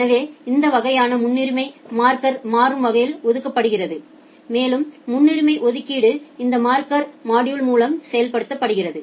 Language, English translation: Tamil, So, that way the priority is dynamically assigned by the marker and that priority assignment is done by this marker module